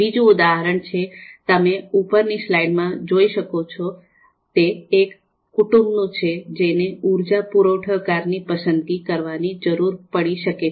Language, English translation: Gujarati, The another example as you can see in the slide is a household may need to select an energy supplier for their family home